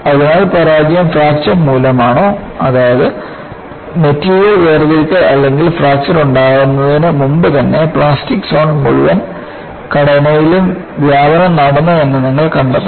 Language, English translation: Malayalam, So, you have to find out whether the failure is precipitated by fracture, that is, material separation or even before fracture occurs, plastic zone spreads on the entire structure